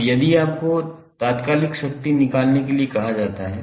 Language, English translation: Hindi, Now, if you are asked to find the instantaneous power